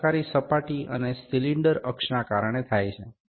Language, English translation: Gujarati, Like this is caused by the working surface and the cylinder axis